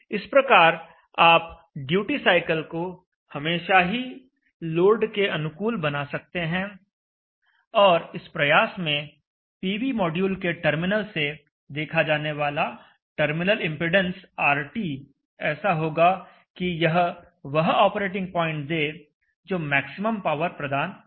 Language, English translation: Hindi, So you can always match the duty cycle with the load, and by trying to match the duty cycle with the load such that RT the terminal impendence seen at the terminals of the PV module is such that it is placed at an operating point which will give maximum power